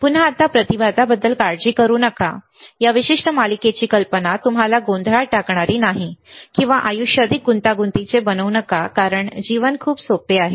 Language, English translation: Marathi, Again do not worry about impedance right now, the idea of this particular series is not to confuse you or not to make the life more complex, life is very easy